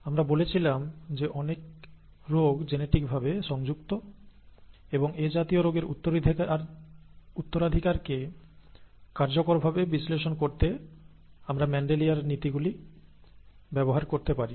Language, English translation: Bengali, We said that many diseases are genetically linked and to usefully analyse such disease inheritance, we could use Mendelian principles